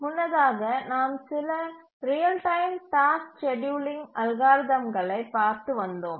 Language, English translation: Tamil, If you recollect over the last few lectures, we were looking at some real time task scheduling algorithms